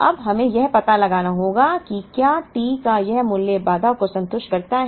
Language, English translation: Hindi, Now, we have to find out whether this value of T satisfies the constraint